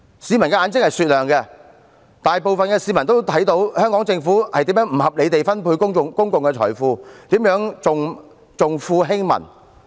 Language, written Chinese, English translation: Cantonese, 市民的眼睛是雪亮的，大部分市民都見到特區政府如何不合理地分配公共財富，以及如何重富輕民。, Members of the public have discerning eyes . Most of them can see the Governments unreasonable distribution of public wealth and how it favours the rich over the poor